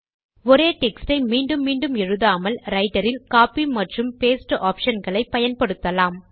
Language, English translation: Tamil, Instead of typing the same text all over again, we can use the Copy and Paste option in Writer